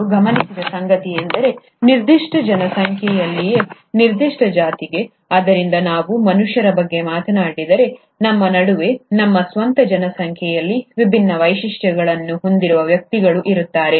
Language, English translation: Kannada, What he observed is that, in a given population itself, for a given species, so if we talk about humans for example, among ourselves and in our own population, there will be individuals with different features